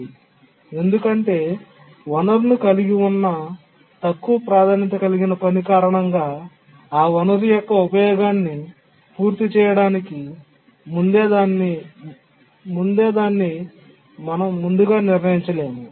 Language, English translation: Telugu, And because the low priority task holding the resource cannot be preempted before it completes its uses of the resource, the high priority task is waiting